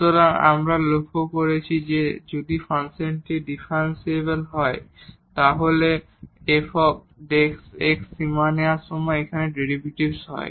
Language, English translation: Bengali, So, what we have observed that if the function is differentiable then the derivative f prime x this is the derivative here when take the limit